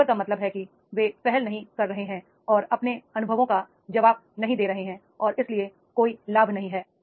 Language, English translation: Hindi, Slipper means they are not taking initiative and not responding to their experiences and therefore there is no gain